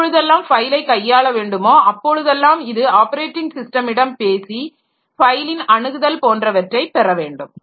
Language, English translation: Tamil, So, the file manipulation whenever it needs to do, so it has to talk to the operating system to get the file access etc